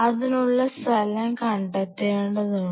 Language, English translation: Malayalam, So, we have to have a designated spot for it